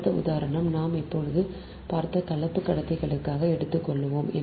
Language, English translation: Tamil, next example we will take for composite conductors